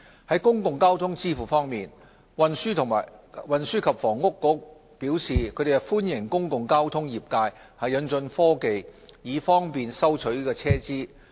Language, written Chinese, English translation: Cantonese, 就公共交通支付方面，運輸及房屋局表示歡迎公共交通業界引進科技，以方便收取車資。, Regarding payments for public transport the Transport and Housing Bureau welcomes the introduction of new technology to facilitate fare collection in the public transport sector